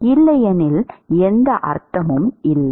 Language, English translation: Tamil, Otherwise it does not make any sense